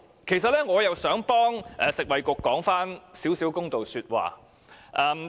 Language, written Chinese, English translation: Cantonese, 其實，我也想為食物及衞生局說幾句公道話。, I would also like to say a few words in fairness about the Food and Health Bureau